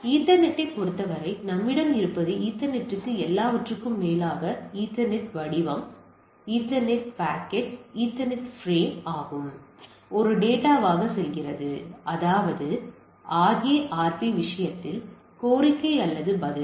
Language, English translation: Tamil, And also in case of Ethernet what we have that is goes payload to Ethernet over all is Ethernet format and Ethernet packet and Ethernet frame and it goes as a data that is whether is request of response in case of a RARP